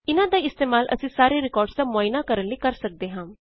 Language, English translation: Punjabi, We also can use these to traverse through the records